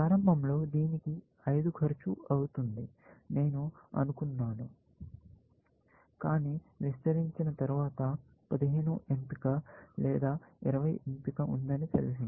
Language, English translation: Telugu, Initially, I thought of it is going to cost 5, but after I expanded it, I know that either, I have a choice of 15 or choice of 20